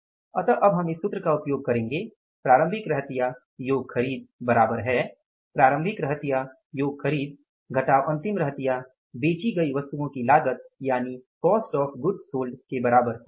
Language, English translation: Hindi, So, we will use the formula like opening stock plus purchases is equal to the opening stock plus purchases minus closing stock is equal to the cost of goods sold